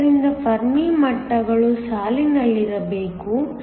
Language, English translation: Kannada, So, the Fermi levels must line up